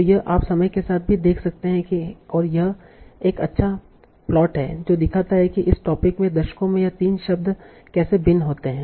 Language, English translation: Hindi, And this is a nice plot that shows how these three words vary over the decades in this topic